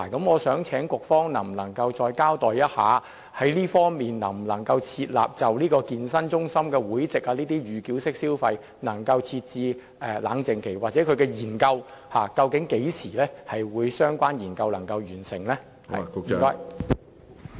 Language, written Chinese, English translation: Cantonese, 我想請局方再交代一下，能否就健身中心會籍的預繳式消費設置冷靜期，又或相關的研究何時會完成？, I hope the Bureau can further comment on the possibility of implementing cooling - off period for pre - payment mode of consumption in fitness centre membership or let us know when the relevant study will be completed